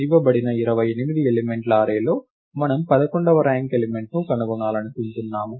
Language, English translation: Telugu, In the given array of 28 elements, we want to find the eleventh ranked element